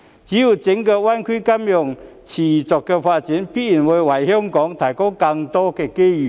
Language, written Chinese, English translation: Cantonese, 只要整個大灣區金融業持續發展，便必然會為香港提供更多機遇。, So long as the financial industry of the entire GBA continues to develop more opportunities will definitely be provided to Hong Kong